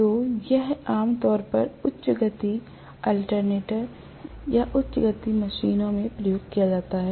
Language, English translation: Hindi, So this is generally used in high speed alternator or high speed machines